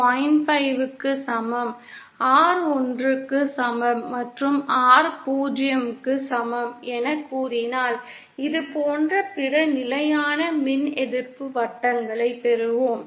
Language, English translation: Tamil, 5, R equal to 1 and R equal to 0, we will get other constant E resistance circles like this